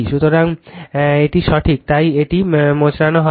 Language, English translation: Bengali, So, this is correct, therefore this is not twisting